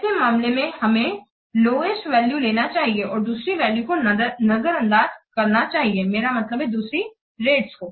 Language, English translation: Hindi, In these cases we have to take the lowest value and ignore the other values, I mean the other rates